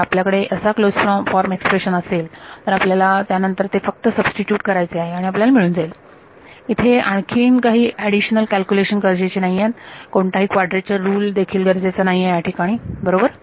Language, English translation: Marathi, And if you have a closed form expression you just substitute it then and you get the thing, there is no added calculation needed over here there is no quadrature rule also needed over here right